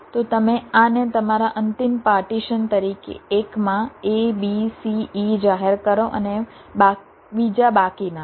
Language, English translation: Gujarati, so you declare this as your final partition: a, b, c, e in one, the rest in the other